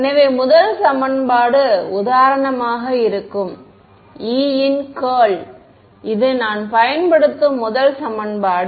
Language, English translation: Tamil, So, the first equation will be for example, curl of E, this is the first equation that I use